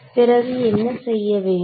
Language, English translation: Tamil, So, what would I have to do